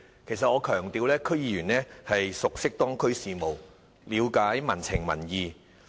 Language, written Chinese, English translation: Cantonese, 我想強調，區議員熟悉當區事務，了解民情民意。, I would like to emphasize that DC members are well versed in local affairs and public opinions